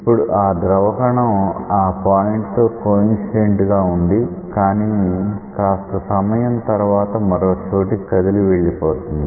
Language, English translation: Telugu, When the fluid particle is coincident with this point then after some time the fluid particle has come to a different point and so on